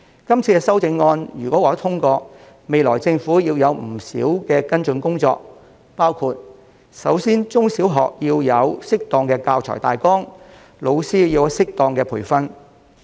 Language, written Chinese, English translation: Cantonese, 是次修訂如獲得通過，政府日後須進行不少跟進工作，包括首先要為中小學提供適當的教材大綱，為老師提供適當的培訓。, There will be much work for the Government to follow up upon passage of the Bill including first of all providing appropriate outlines for teaching materials for primary and secondary schools and the provision of appropriate training for teachers